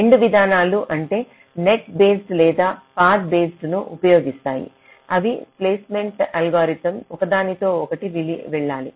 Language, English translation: Telugu, so both the approaches either you use the net based or path based they has to go hand in hand with the placement algorithm